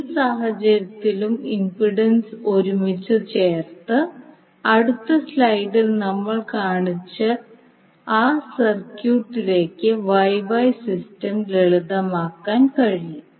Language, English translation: Malayalam, In any event by lumping the impedance together, the Y Y system can be simplified to that VF to that circuit which we shown in the next slide